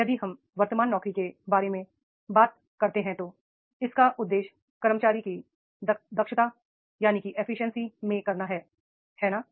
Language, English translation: Hindi, If we talk about the present job, then it is, it aims is to improve the efficiency of the employee right